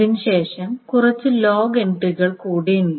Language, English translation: Malayalam, Now, after that there are some more log entries, etc